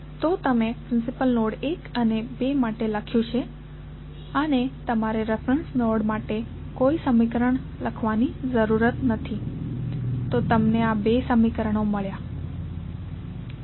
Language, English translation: Gujarati, So, you have written for principal node 1 and 2 and you need not to write any equation for reference node, so you got two equations